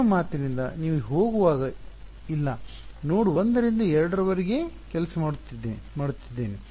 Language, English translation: Kannada, No when you are going from your saying I am working from node 1 to 2 ok